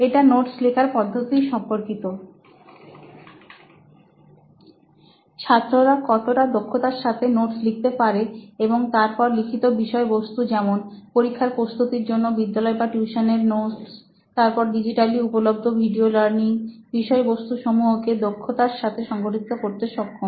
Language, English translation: Bengali, Then is the actual note taking process, how efficiently students are able to take notes and organize their written content for say it like their school notes or tuition notes preparation for their examinations, then their video learning content which is digitally available nowadays